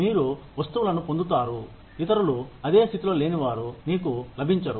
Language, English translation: Telugu, You get things, that others, who are not in the same position, as you, do not get